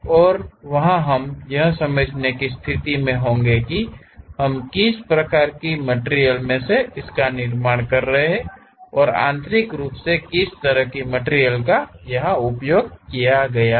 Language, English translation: Hindi, And, there we will be in a position to really understand what kind of part we are manufacturing and what kind of material has been used internally